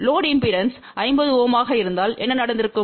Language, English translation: Tamil, Suppose, if the load impedance was 50 Ohm, so what would have happen